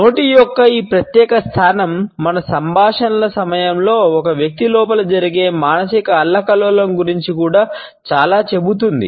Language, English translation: Telugu, This particular position of mouth also tells us a lot about the psychological turbulence which goes on inside a person during our conversations